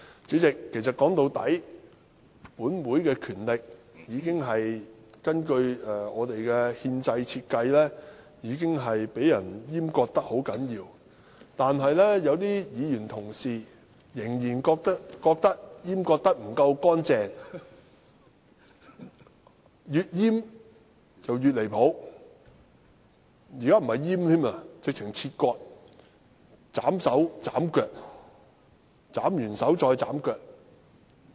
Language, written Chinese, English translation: Cantonese, 主席，說到底，本會的權力根據憲制設計，已經被人嚴重閹割，但有些議員同事仍然覺得閹割得不夠乾淨，越閹越"離譜"，現在不是閹割，簡直是切割，斬手斬腳，斬完手再斬腳。, President after all the powers of this Council designed under the constitution have been seriously castrated . However some Honourable colleagues still think that the castration is not clean enough thus castrating more and more which is really outrageous . Now it is not only a castration but also an excision to cut off arms and legs one after another